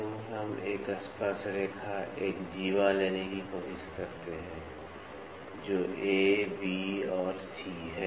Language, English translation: Hindi, So, we try to take a tangent a chordal, which is A, B and C